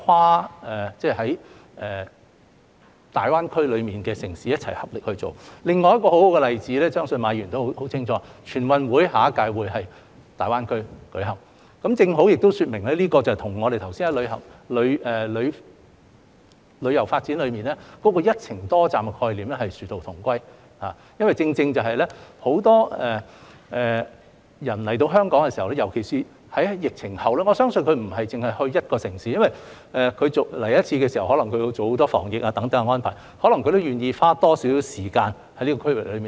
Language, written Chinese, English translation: Cantonese, 另有一個很好的例子，我相信馬議員也很清楚，下屆中華人民共和國全國運動會將會在大灣區舉行，正好說明這跟我們剛才提及旅遊發展"一程多站"的概念殊途同歸，因為有很多人前來香港，尤其是在疫情後，我相信他們不會只前往一個城市，他們前來的時候，可能要做很多防疫等安排，所以或會願意多花一些時間留在區域內。, This example and the concept of multi - destination tourism development we have just mentioned are precisely two means achieving the same end . It is because I believe many people coming to Hong Kong especially after the pandemic will not visit one city only . When they come they may have to make a lot of arrangements such as those for disease prevention so they may be willing to spend some more time in the region